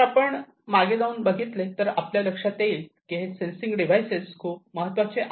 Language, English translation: Marathi, So, going back we have seen that these sensing devices are very important